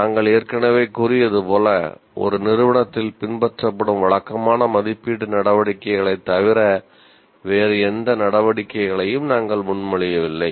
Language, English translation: Tamil, As we already said, we are not proposing any different activities other than the routine assessment activities that are followed in an institute